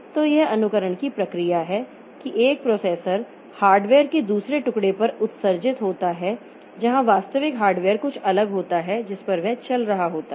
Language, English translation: Hindi, So, this is the thing that am, this is the process of emulation that one processor is emulated on another piece of hardware where it is where the actual hardware is something different on which it is running